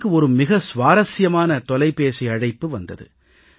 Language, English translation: Tamil, I have received a very interesting phone call